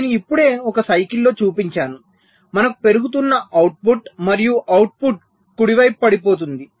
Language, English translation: Telugu, in one cycle we can have a rising output and also falling output, right